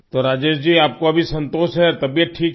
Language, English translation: Hindi, So Rajesh ji, you are satisfied now, your health is fine